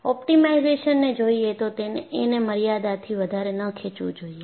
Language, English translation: Gujarati, So, by looking at optimization, do not stretch optimization beyond a limit